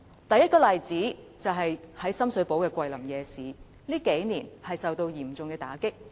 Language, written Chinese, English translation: Cantonese, 第一個例子，是深水埗的"桂林夜市"近年受到嚴重打擊。, The first example is the Kweilin Night Market in Shum Shui Po . It has been subject to ruthless suppression